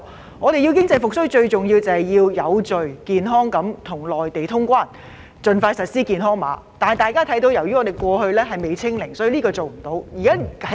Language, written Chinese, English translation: Cantonese, 香港如要經濟復蘇，最重要是有序地跟內地通關，盡快採用健康碼，但因香港的確診數字未能"清零"，所以暫時不能通關。, The key to Hong Kongs economic recovery thus lies in the reopening of the border with the Mainland in an orderly manner as well as the rapid launch of a health code . Regrettably as the number of confirmed cases in Hong Kong has still not be reduced to zero the border cannot be reopened for the time being